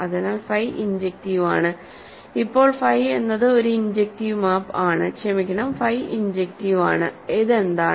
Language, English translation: Malayalam, So, phi is injective, now phi is an injective map from so, phi is injective from sorry